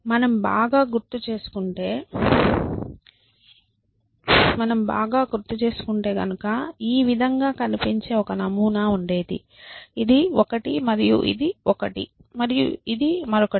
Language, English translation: Telugu, So, if I remember correctly there is a pattern which looks like this that if this is one and this is one and this is one